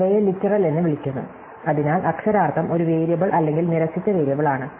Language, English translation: Malayalam, So, these are called literals, so literal is either a variable or a negated variable